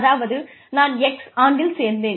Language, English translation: Tamil, Say, I joined in the year x